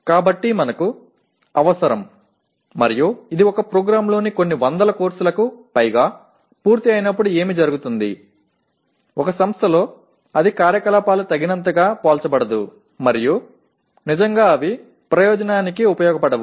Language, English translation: Telugu, So we need, and what happens when it is done especially over a few hundred courses in a program, in an institution it becomes the activities become not adequately comparable and really they do not serve the purpose